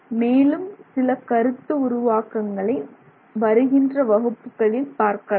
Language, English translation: Tamil, We will look at some other concepts in our subsequent classes